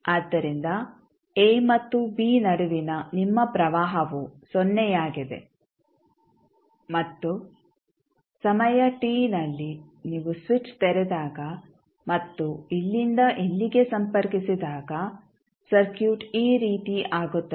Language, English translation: Kannada, So, your current between a and b is 0 and when you at time t is equal to you open the switch and connect from here to here the circuit will become like this